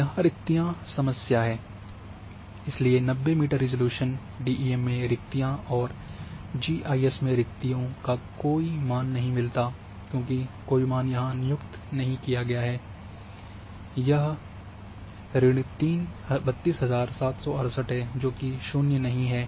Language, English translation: Hindi, Now the problem about the voids, so in the 90 meter resolution the DEM it had the voids and voids gets the no data value in GIS as no data value was assigned here is minus 32768 that is then no data value not the 0 value